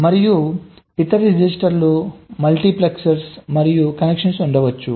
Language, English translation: Telugu, and there can be a other miscellaneous registers, multiplexors and connections